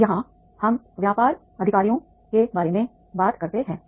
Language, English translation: Hindi, Now here we talk about the business executives